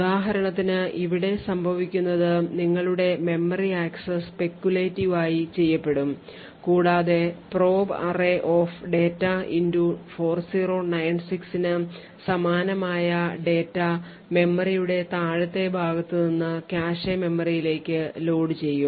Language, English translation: Malayalam, So, for example what would happen here is that there would be your memory axis which is done speculatively and data corresponding to probe array data into 4096 would be loaded into the cache memory from the lower size of the memory